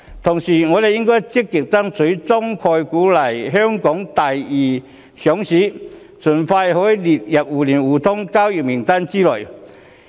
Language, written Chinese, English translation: Cantonese, 同時，我們應該積極爭取中概股來香港作第二上市，以便盡快可以列入互聯互通交易名單內。, In the meantime we should proactively arrange Chinese concept stocks to seek a secondary listing in Hong Kong so as to facilitate their inclusion in the mutual market access scheme as soon as possible